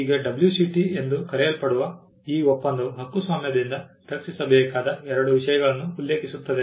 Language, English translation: Kannada, Now this treaty also called as the WCT mentions two subject matters to be protected by copyright